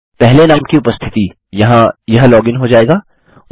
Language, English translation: Hindi, The 1st occurrence of name, this one here will be logged in